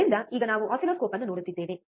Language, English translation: Kannada, So, now what we are looking at oscilloscope